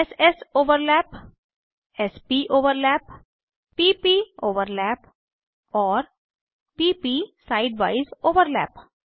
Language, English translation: Hindi, s soverlap, s poverlap, p poverlap and p p side wise overlap